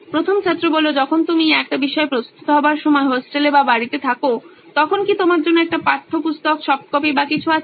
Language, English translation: Bengali, When you are at hostel or at home while you preparing a subject, is there a provision for you to have a textbook, soft copy or anything